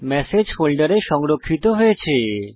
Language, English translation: Bengali, The message is saved in the folder